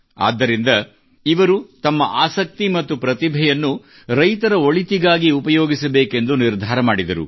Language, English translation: Kannada, So, he decided to use his interest and talent for the welfare of farmers